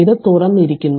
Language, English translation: Malayalam, So, this is open